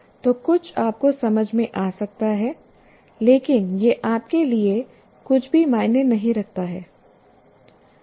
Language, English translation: Hindi, So, something can make sense to you, but it may not mean anything to you